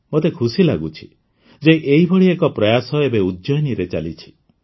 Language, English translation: Odia, And I am happy that one such effort is going on in Ujjain these days